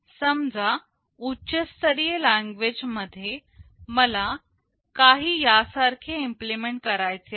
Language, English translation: Marathi, Suppose in high level language, I want to implement something like this